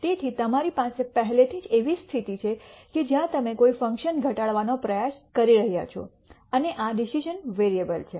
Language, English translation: Gujarati, So, you already have a situation where you are trying to minimize a function and these are the decision variables